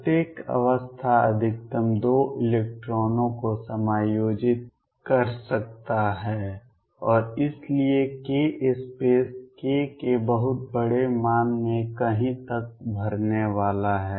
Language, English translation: Hindi, Each state can maximum accommodate 2 electrons and therefore, the k space is going to be filled up to somewhere in very large value of k